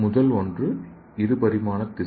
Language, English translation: Tamil, The first one is two dimensional tissue